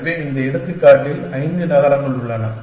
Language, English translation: Tamil, So, there are, in this example there are five cities